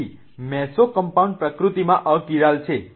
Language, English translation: Gujarati, So, mesocompound are achyral in nature